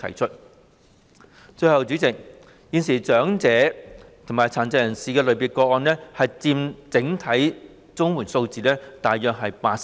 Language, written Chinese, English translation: Cantonese, 最後，代理主席，現時長者及殘疾人士類別的個案佔整體綜援數字約八成。, Lastly Deputy President presently the cases in the elderly and people with disabilities categories account for about 80 % of all CSSA cases